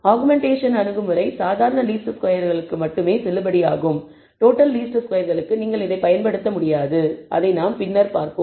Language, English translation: Tamil, The augmentation approach is valid only for ordinary least squares you cannot use it for total least squares which we will see again later